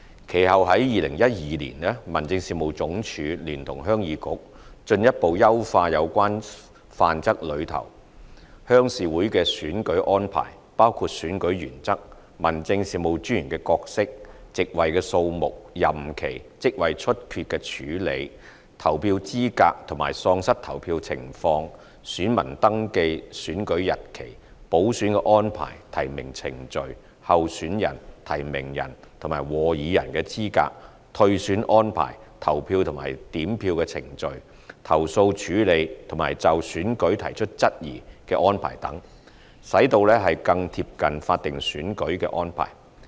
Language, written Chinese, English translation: Cantonese, 其後在2012年，民政事務總署聯同鄉議局進一步優化有關《範則》內鄉事會的選舉安排，包括選舉原則、民政事務專員的角色、席位數目、任期、職位出缺的處理、投票資格和喪失投票情況、選民登記、選舉日期、補選安排、提名程序、候選人、提名人和和議人的資格、退選安排、投票和點票程序、投訴處理和就選舉提出質疑的安排等，使其更貼近法定選舉的安排。, Subsequently in 2012 together with HYK HAD further enhanced the arrangement in relation to the RC elections in the Model Rules including the general rule role of District Officers number of seats term of office handling of vacancy in office voter eligibility the circumstances a person is disqualified from voting voter registration dates for elections the arrangement of by - elections nomination procedure eligibility of candidates subscribers and seconders withdrawal of candidature arrangements for polling and counting of votes handling of complaints and questioning of the results of elections so that the electoral arrangements of RC elections would become closer to statutory elections